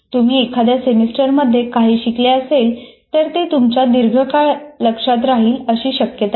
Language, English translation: Marathi, If you have learned something during that semester, it doesn't mean that you are retaining it for a long term